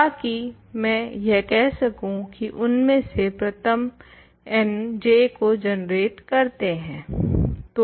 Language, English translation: Hindi, So, that I can say first n of them generate J